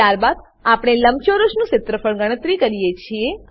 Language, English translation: Gujarati, Then we calculate the area of the rectangle